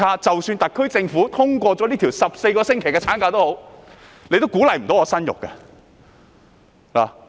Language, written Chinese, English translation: Cantonese, 即使特區政府通過了14個星期產假也無法鼓勵他們生育。, Even with the endorsement of the 14 - week maternity leave the SAR Government will fail to encourage them to have children